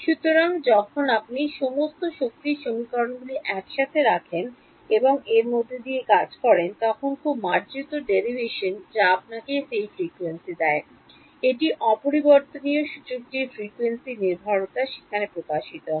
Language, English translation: Bengali, So, when you put all the force equations together and work through it is a very elegant derivation which shows you that frequency, the frequency dependence of the refractive index it comes out over there